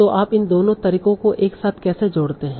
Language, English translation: Hindi, So that's how you combine both of these approaches together